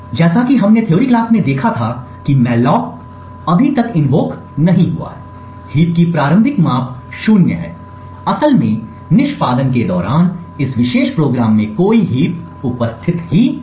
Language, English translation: Hindi, As we have seen in the theory classes since the malloc has not been invoked as yet, the initial size of the heap is 0, in fact there is no heap present in this particular program at this particular point during the execution